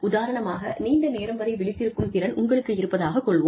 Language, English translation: Tamil, For example, if you have the ability to stay, awake for longer hours